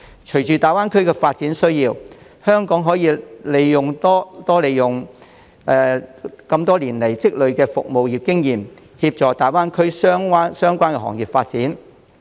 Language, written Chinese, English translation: Cantonese, 隨着大灣區發展，香港可利用多年來積累的服務業經驗，協助大灣區相關行業發展。, Along with the development of GBA Hong Kong can use the experience of the service sector accumulated over the years to assist in the development of related industries in GBA